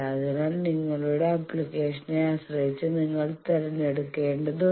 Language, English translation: Malayalam, So, depending on your application you need to choose